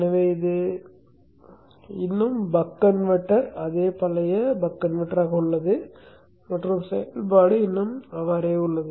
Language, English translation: Tamil, So this is still the buck converter, the same old buck converter and the operation still continues to remain same